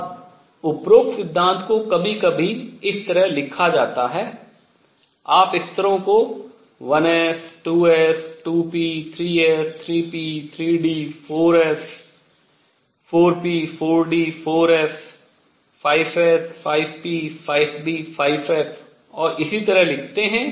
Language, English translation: Hindi, Now the above principle at times is also written like this, you write the levels 1 s, 2 s, 2 p, 3 s, 3 p, 3 d, 4 s, 4 p, 4 d, 4 f, 5 s, 5 p, 5 d, 5 f and so on